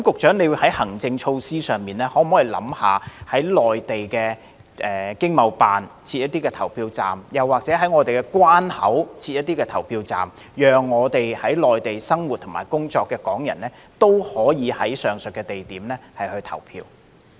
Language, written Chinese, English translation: Cantonese, 在行政措施上，局長可否考慮在駐內地的經濟貿易辦事處設立一些投票站，又或者在我們的關口設立一些投票站，讓在內地生活和工作的港人也可以在上述地點投票？, With respect to administrative measures can the Secretary consider setting up some polling stations at the economic and trade offices on the Mainland or setting up some polling stations at our border control points so that Hong Kong people living and working on the Mainland can vote at the aforesaid venues as well?